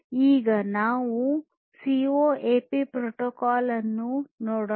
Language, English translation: Kannada, So, let us now look at the CoAP protocol